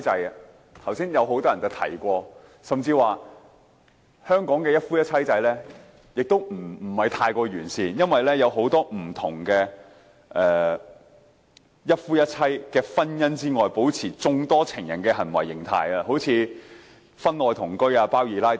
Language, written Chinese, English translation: Cantonese, 很多議員剛才也有提及，甚至表示香港的一夫一妻制其實並不太完善，因為很多人也是在一夫一妻制的婚姻外，保持擁有眾多情人的行為形態，例如婚外同居和"包二奶"等。, Many Members talked about it just now and even said that the kind of monogamy system practised in Hong Kong was actually not quite so comprehensive because many people still engage in the behaviour of keeping many lovers outside their monogamous wedlock . Some examples are extramarital cohabitation or even the keeping of mistresses